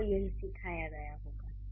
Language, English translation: Hindi, That's how it must have been taught to you